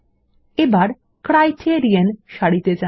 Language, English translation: Bengali, and we will go to the Criterion row